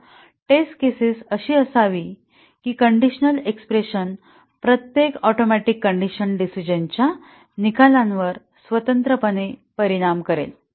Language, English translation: Marathi, So, the test cases should be such that each atomic condition in the conditional expression would independently affect the outcome of the decision